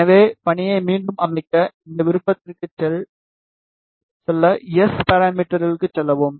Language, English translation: Tamil, So, to set the task again go to this option, go to S parameter ok